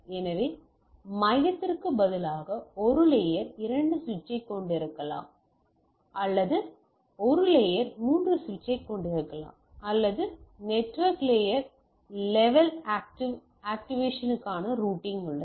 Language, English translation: Tamil, So, that instead of hub, I could have a have a layer two switch or I even can have a layer 3 switch or where we have the routing for the network layer level active activation right